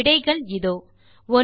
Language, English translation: Tamil, And the answers, 1